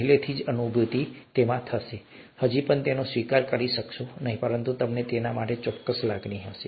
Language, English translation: Gujarati, You may not still accept it but you will certainly have a feel for it